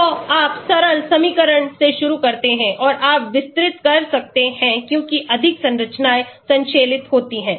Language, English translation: Hindi, So, you start with the simple equation and you can elaborate as more structures are synthesized